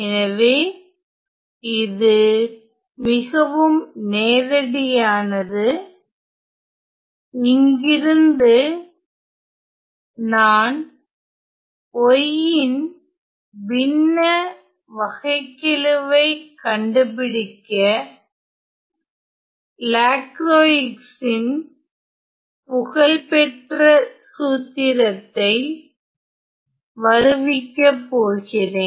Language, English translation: Tamil, So, that is quite straightforward, now from here let me just derive the famous formula by Lacroix for the fractional derivative of y